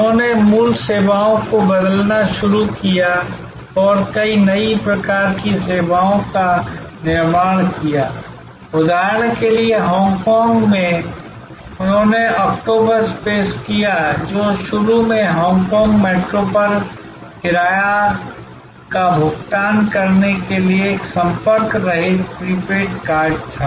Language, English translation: Hindi, They started transforming original services and creating many new types of services, for example in Hong Kong, they introduced octopus, which was initially a contact less prepaid card for paying the fare on Hong Kong metro